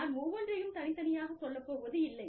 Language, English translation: Tamil, I will not go through, each one, independently